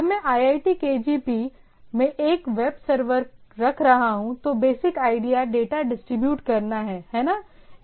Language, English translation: Hindi, So, but to when I am keeping in something web server at IIT KGP, that the basic idea is to distribute the data, right